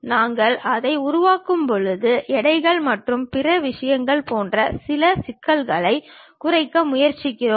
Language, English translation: Tamil, And when we are constructing that, we try to minimize certain issues like weights and other thing